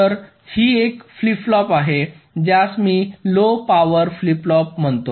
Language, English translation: Marathi, so this is a flip flop which i call a low power flip flop